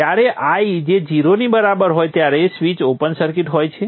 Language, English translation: Gujarati, When i is equal to zero, the switch is an open circuit